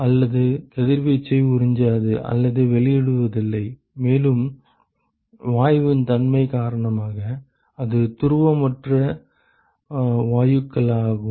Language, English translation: Tamil, They do not absorb or emit radiation, and that is because of the nature of the gas it is a non polar gases